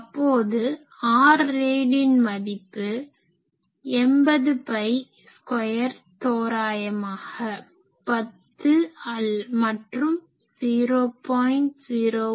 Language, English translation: Tamil, So, R rad that will be 80 pi square is roughly 10 you can say and 0